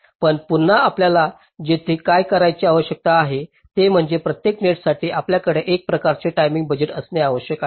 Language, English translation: Marathi, but again, what you need to do here is that you need to have some kind of timing budget for every net